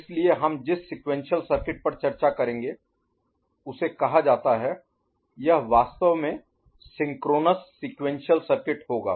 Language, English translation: Hindi, So, the sequential circuit that we shall discuss it is called it will be actually synchronous sequential circuits